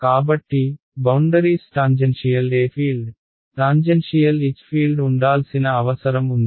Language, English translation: Telugu, So, what is to be respected on the boundaries tangential e field tangential h field has to be conserved